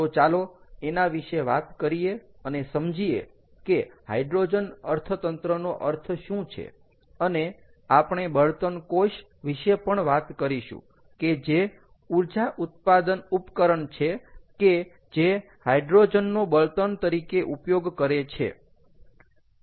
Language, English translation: Gujarati, ok, so lets talk about that, lets understand what hydrogen economy means, what it is, and, and also we are going to talk about fuel cells, which is again and energy generating device that uses hydrogen as the fuel